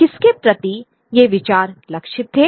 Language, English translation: Hindi, Who were these ideas targeted two words